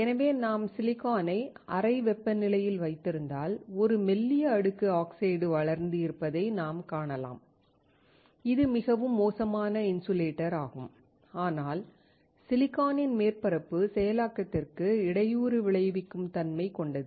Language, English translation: Tamil, So, if you just keep the silicon at room temperature, you will find that there is a thin layer of oxide grown, which is extremely poor insulator, but can impede the surface processing of silicon